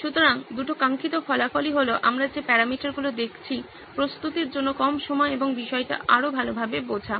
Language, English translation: Bengali, So the two desired results are the parameters we are looking at is less time to prepare and better understanding of the topic